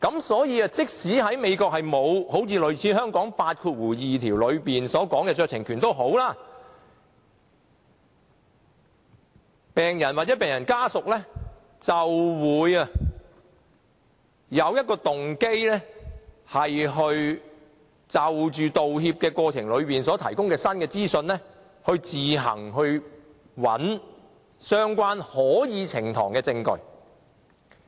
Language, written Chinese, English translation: Cantonese, 所以，即使美國沒有類似香港的第82條的酌情權，病人或病人家屬亦有動機就道歉過程中提供的新資訊，自行找相關可以呈堂的證據。, So although apology laws in the United States do not contain similar discretion as provided under clause 82 of the Bill in Hong Kong patients or their families still have the motive to find admissible evidence from the new information provided in the apology